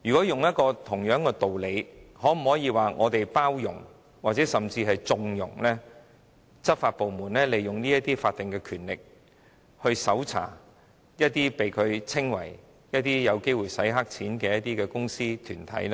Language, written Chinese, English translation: Cantonese, 套用相同的道理，我們會否是在包容甚或縱容執法部門利用法定權力搜查它們視之為有機會洗黑錢的公司或團體？, By the same principles will we forbear or even condone law enforcement agencies to exercise their statutory power to search companies or organizations that they consider likely to engage in money laundering?